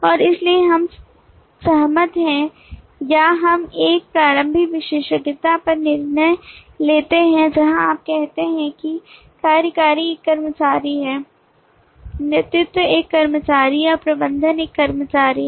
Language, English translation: Hindi, and therefore we agree or we decide on an initial specialization where you say that executive is an employee, lead is an employee and manager is an employee